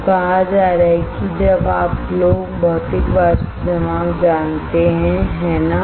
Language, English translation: Hindi, So, having said that, now you guys know physical vapor deposition, right